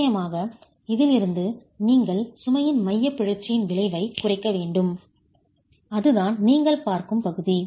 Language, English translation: Tamil, Of course you will have to, from this, reduce the effect of eccentricity of the load itself and that's the part that you see